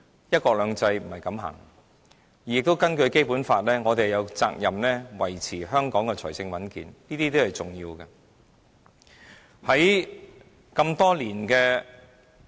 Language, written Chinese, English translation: Cantonese, "一國兩制"不是這樣走的，而且根據《基本法》，我們有責任維持香港的財政穩健，這些均是重要的。, The one country two systems framework should not be operating this way . Besides under the Basic Law it is incumbent upon the Government to maintain the citys financial soundness